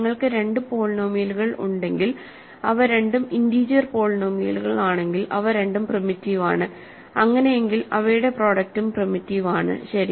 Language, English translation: Malayalam, If you have two polynomials which are both integer polynomials which are both primitive then their product is primitive, ok